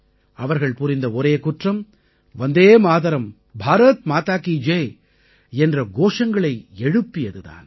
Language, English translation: Tamil, Their only crime was that they were raising the slogan of 'Vande Matram' and 'Bharat Mata Ki Jai'